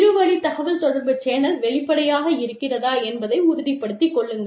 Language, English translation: Tamil, So, make sure, that the channel of two way communication, is open down